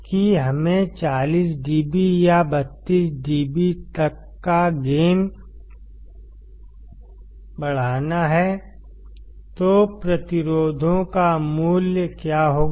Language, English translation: Hindi, That we have to increase the gain to 40 dB or 32 dB; so, what will the value of resistors be